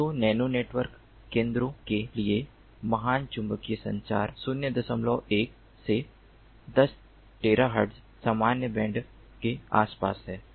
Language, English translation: Hindi, so great magnetic communication for nano network centers around the point one to ten terahertz general band